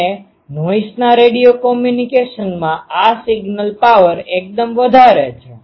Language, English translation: Gujarati, And in actually in radio communication of voice this signal power is quite higher